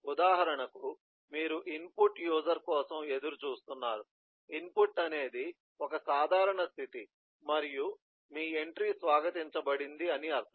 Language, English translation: Telugu, for example, you are waiting for input eh user input is eh one eh simple state and your entry is welcome